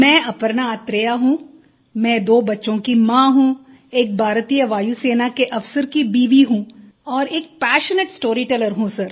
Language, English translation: Hindi, I am a mother of two children, the wife of an Air Force Officer and a passionate storyteller sir